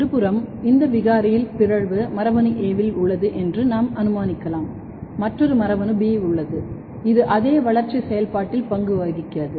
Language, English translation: Tamil, On the other hand, if in this mutant mutation is let us assume in gene A and there is another gene B which is also playing role in the same developmental process